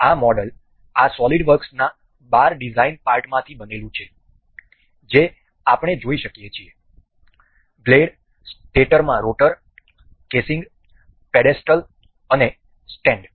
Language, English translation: Gujarati, This model is built out of 12 design parts in this SolidWorks that we can see it like this; the blades, the rotor in stator, the casing, the pedestal and the stand